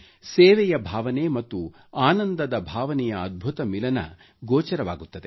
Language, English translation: Kannada, There is a wonderful confluence of a sense of service and satisfaction